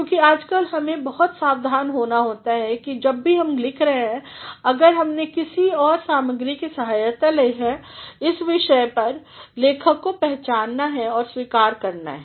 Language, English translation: Hindi, Because, nowadays one has to be very careful, that whatever one writes and if one has taken help of some other materials on this topic the author has to be identified or acknowledged